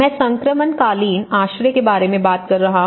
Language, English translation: Hindi, So, I am talking about the transitional shelter